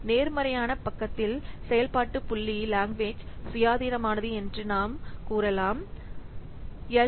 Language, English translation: Tamil, On the positive side, you can say that function point is language independent